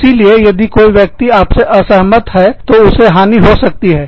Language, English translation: Hindi, So, if somebody disagrees with you, they can lose